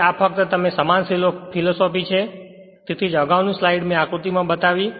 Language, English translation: Gujarati, So, this is your just you just same philosophy that is why previous slide I showed the diagram